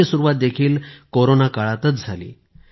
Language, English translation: Marathi, This endeavour also began in the Corona period itself